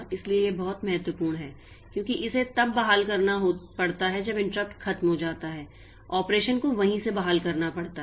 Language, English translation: Hindi, So, this is very important because it has to restore when the interrupt is over it has to restore the operation from there